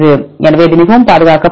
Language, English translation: Tamil, So, this is highly conserved